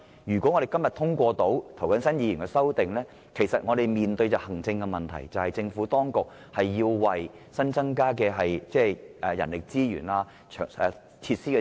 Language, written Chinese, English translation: Cantonese, 如果今天能通過涂謹申議員的修正案，我們面對的行政問題是，政府當局要安排增加人力資源和設施。, Should Mr James TOs amendment be passed today the administrative problem to be resolved is that the Government should increase manpower and facilities; otherwise we may have to undergo another lengthy consultation exercise